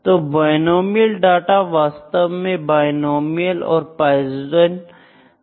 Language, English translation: Hindi, So, binomial data it is actually just said before the binomial and Poisson